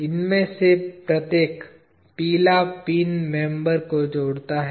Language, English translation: Hindi, Each one of these yellow pins join the members